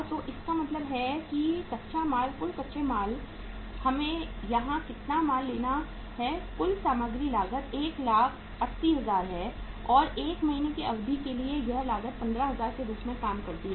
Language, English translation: Hindi, So it means raw material is total raw material is how much we have to take here is that is total material cost is 180,000 and for a period of 1 month the cost works out as 15,000